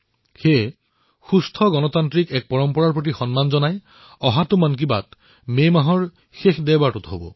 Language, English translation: Assamese, In maintainingrespect for healthy democratic traditions, the next episode of 'Mann KiBaat' will be broadcast on the last Sunday of the month of May